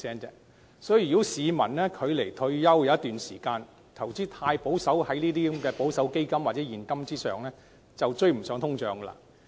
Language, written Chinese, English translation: Cantonese, 因此，如果市民距離退休尚有一段長時間，卻把大部分投資都放在保守基金或現金，這樣便會追不上通脹。, Therefore people who still have a long time before retirement will see their investment returns fall behind inflation if they concentrate most of their investments on conservative funds or cash